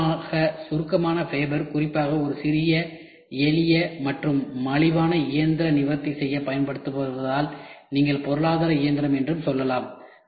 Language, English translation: Tamil, As the common abbreviation fabber is used in particular to address a small simple and a cheap machine you can say economic machine